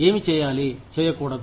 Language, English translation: Telugu, What should be done, what should not be done